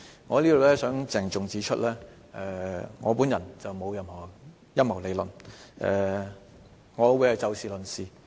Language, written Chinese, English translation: Cantonese, 我想在此鄭重指出，我並無任何陰謀理論，我會以事論事。, I would like to point out solemnly that I am no conspiracy theorist and I will give the matter its fair deal